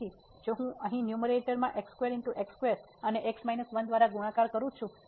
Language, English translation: Gujarati, So, if I multiply here in the numerator by square and minus 1